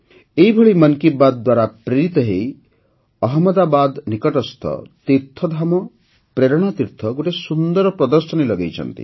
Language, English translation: Odia, Similarly, inspired by 'Mann Ki Baat', TeerthdhamPrernaTeerth near Ahmadabad has organized an interesting exhibition